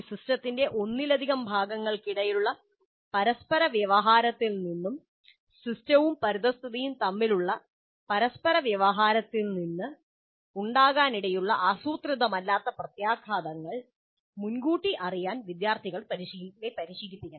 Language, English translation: Malayalam, So students must be trained to anticipate the possibly unintended consequences emerging from interactions among the multiple parts of a system and interactions between the system and the environment